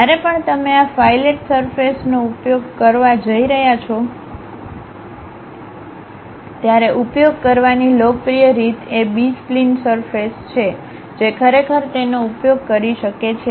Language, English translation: Gujarati, Whenever, you are going to use these fillet surfaces, the popular way of using is B spline surfaces one can really use it